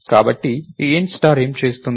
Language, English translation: Telugu, So, thats what this int star does